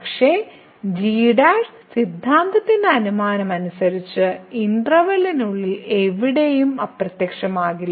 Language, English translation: Malayalam, But, as per the assumption of the theorem does not vanish anywhere inside the interval